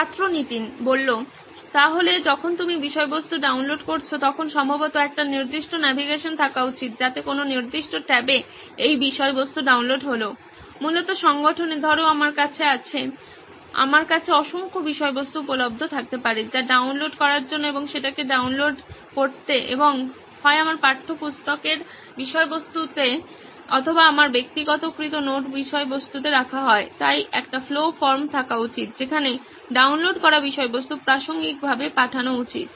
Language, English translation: Bengali, So when you are downloading content probably there should be a navigation as to once that content is downloaded then into what particular tab, what basically organisation, see I have, I could have n number of content available for me to download and downloading that and putting it either into my textbook content or into my personalized note content, so there should be a flow from where the downloaded content should be routed to the relevant